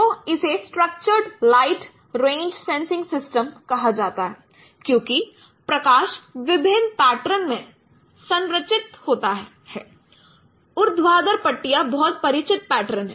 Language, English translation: Hindi, So this is called structured light range sensing system because the light itself has been structured in different patterns